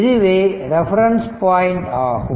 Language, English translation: Tamil, So, this is my reference point